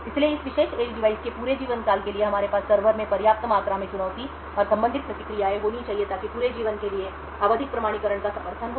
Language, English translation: Hindi, So therefore, for the entire lifetime of this particular edge device we should have sufficient amount of challenge and corresponding responses stored in the server so that the periodic authentication is supported for the entire life